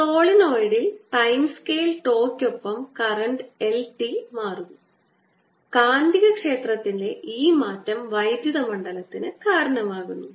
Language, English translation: Malayalam, in the solenoid there is current i t changing in with time scale, tau, and therefore this change in magnetic field gives rise to the electric field